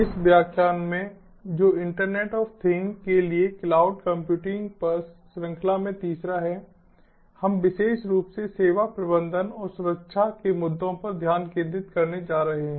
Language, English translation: Hindi, in this lecture, which is the third in the series on cloud computing for internet of things, we are going to specifically focus on issues of service management and security